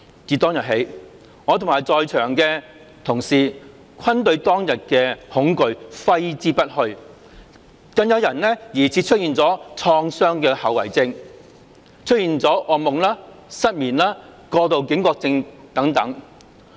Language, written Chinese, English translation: Cantonese, 自當日起，我和在場的同事均對當日的恐懼揮之不去，更有人疑似出現了創傷後遺症、噩夢、失眠、過度警覺症等。, From that day on my colleagues and I have been haunted by the terror on that day . Some people even seem to suffer from post - traumatic stress disorder with symptoms such as nightmare insomnia and hyperarousal